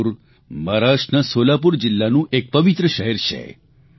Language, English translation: Gujarati, Pandharpur is a holy town in Solapur district in Maharashtra